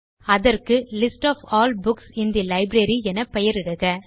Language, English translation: Tamil, Name it as List of all books in the Library